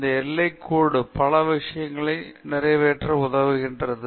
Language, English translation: Tamil, And this outline helps us accomplish several things